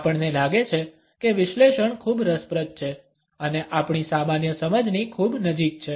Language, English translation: Gujarati, We find that the analysis is pretty interesting and also very close to our common perceptions